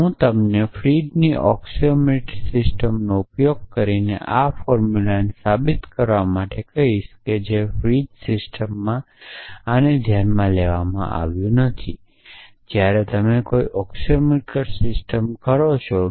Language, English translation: Gujarati, I will ask you to prove this formula using Frege’s axiomatic systems observe that this is not taken for granted in Frege system, when you say an axiomatic system